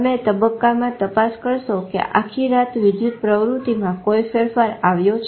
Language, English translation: Gujarati, You check in the stages whether there is a variation in electrical activity throughout night